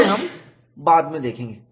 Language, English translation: Hindi, We will see that later